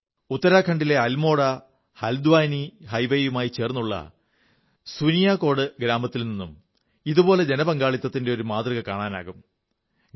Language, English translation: Malayalam, Village Suniyakot along the AlmoraHaldwani highway in Uttarakhand has also emerged as a similar example of public participation